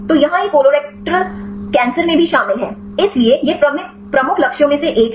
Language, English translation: Hindi, So, here this is also involved in the colorectal cancer; so it is one of the major targets